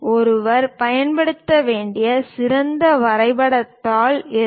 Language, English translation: Tamil, What is the best drawing sheet one should use